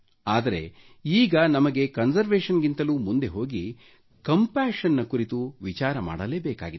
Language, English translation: Kannada, But, we now have to move beyond conservation and think about compassion